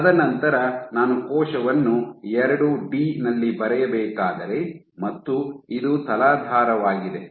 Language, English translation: Kannada, And then, so if I were to draw the cell in 2 D and this is your substrate